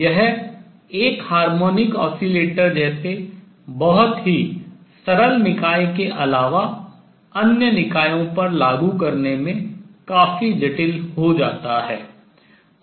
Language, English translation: Hindi, It becomes quite complicated in applying to systems other than very simple system like a harmonic oscillator